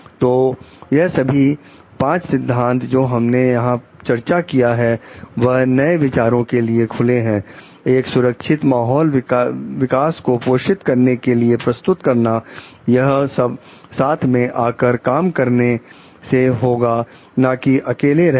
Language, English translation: Hindi, So, all these five principles that we have discussed like being open to new ideas, providing a safe climate then nurturing growth, all this will come work not in isolation